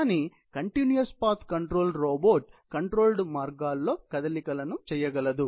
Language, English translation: Telugu, The continuous path control robot on the other hand is capable of performing movements along the controlled paths